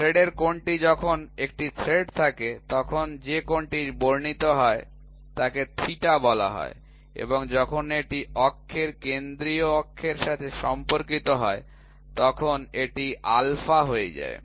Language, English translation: Bengali, So, angle of thread is when there is a single thread, the angle which is subtended is called as theta and when it is with respect to axis central axis this becomes alpha